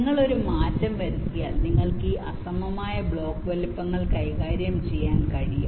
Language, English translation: Malayalam, just this one change if you make, then you will be able to handle this unequal block sizes